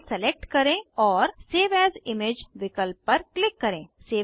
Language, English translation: Hindi, Select File and click on Save As Image option